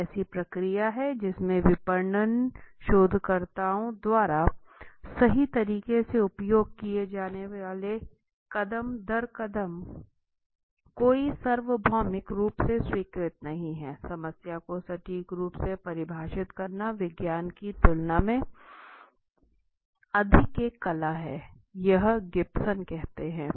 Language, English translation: Hindi, A process there is no universally accepted step by step approaches used by marketing researchers right, defining problem accurately is more an art than the science say Gibson